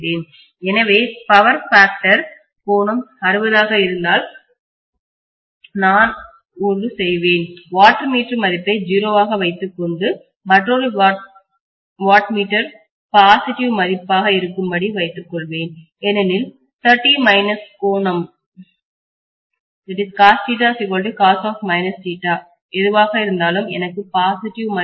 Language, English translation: Tamil, So if the power factor angle happens to be 60, I will have one of the watt meter reading to be 0 and the other watt meter reading will have a value which is positive because 30 minus whatever is the angle cos of theta equal to cos of minus theta so I will have a positive value